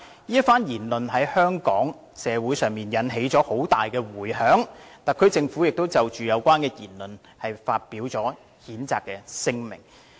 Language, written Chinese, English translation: Cantonese, 此番言論在香港社會引起了很大迴響，特區政府亦就有關言論發表了譴責聲明。, Such remarks triggered strong repercussions in Hong Kong society and the Special Administrative Region Government issued a statement of condemnation in respect of such remarks